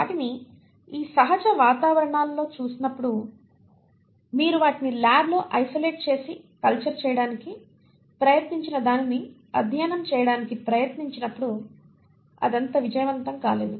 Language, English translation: Telugu, And you find that although you see them in these natural environments, when you try to isolate and culture them in the lab and you try to then study it, it has not been very successful